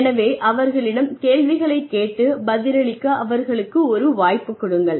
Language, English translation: Tamil, So ask them questions, and give them a chance to respond